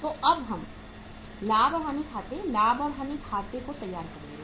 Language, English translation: Hindi, So we will prepare now the profit and loss account, profit and loss account